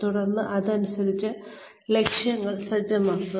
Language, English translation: Malayalam, And then, set the objectives accordingly